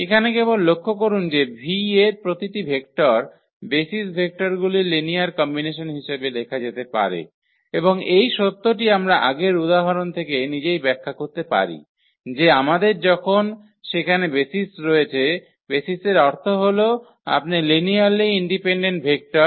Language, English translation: Bengali, Just a note here that every vector in V can be written uniquely as a linear combination of the basis of vectors and this fact also we can explain from the previous example itself, that when we have the base is there; the basis means you are linearly independent vectors